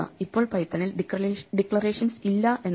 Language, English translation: Malayalam, Now it is a not that Python does not have declarations